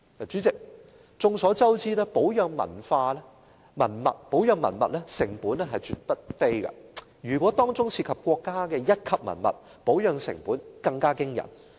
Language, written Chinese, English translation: Cantonese, 主席，眾所周知，保養文物成本絕對不菲，如果當中涉及國家一級文物，保養成本更驚人。, President as we all know the costs of maintaining relics are absolutely considerable . If Grade One relics are involved the maintenance costs are even more alarming